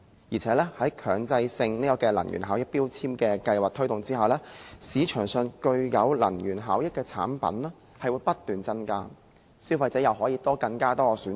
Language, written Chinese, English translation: Cantonese, 再者，在強制性標籤計劃推動下，市場上具有能源效益的產品會不斷增加，消費者又可以有更多選擇。, Furthermore MEELS will provide the impetus for the market to supply more energy - saving products for consumers to choose from